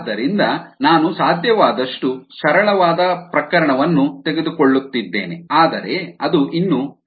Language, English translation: Kannada, so i am taking the simplest case that is possible but which is still representative